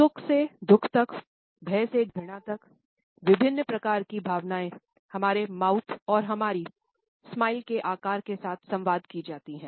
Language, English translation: Hindi, From happiness to sorrow, from fear to disgust, different type of emotions are communicated with the shapes of mouth and our smiles